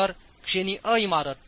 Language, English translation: Marathi, So, category A building